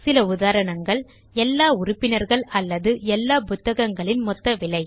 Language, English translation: Tamil, Some examples are count of all the members, or sum of the prices of all the books